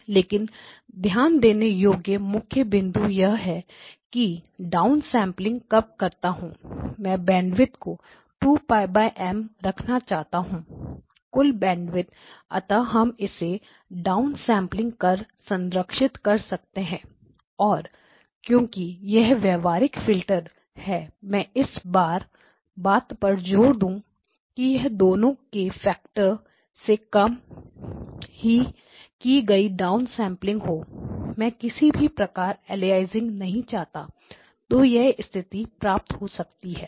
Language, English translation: Hindi, Because you are having more number of sub bands on one dimension but the key point to notice that when I am doing down sampling, I want to keep the bandwidth of the order of 2 Pi by M, the total bandwidth so that we can down sample it and then preserve the, and because these are practical filters if I insist that both of them are less a down sample by a factor of 2, I do not want aliasing at all then this is what will become